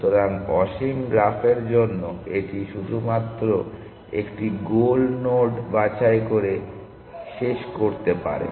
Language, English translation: Bengali, So, for infinite graphs it can only terminate by picking a goal nodes essentially